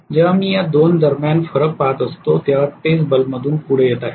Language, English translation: Marathi, When I am actually looking at difference between these two that is what is coming across the bulb